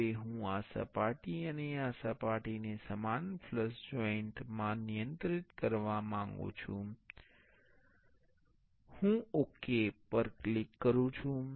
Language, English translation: Gujarati, Now, I want to constrain this surface and this surface in the same flush joint, I click ok